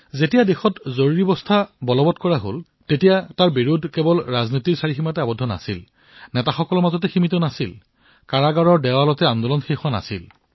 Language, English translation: Assamese, When Emergency was imposed on the country, resistance against it was not limited to the political arena or politicians; the movement was not curtailed to the confines of prison cells